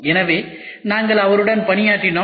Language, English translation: Tamil, So, we worked with him